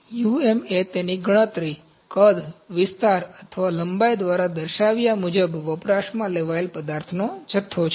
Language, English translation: Gujarati, U M is the quantity of the material consumed as indicated by its count, volume, area or length